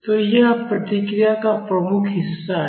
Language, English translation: Hindi, So, this is the predominant part of the response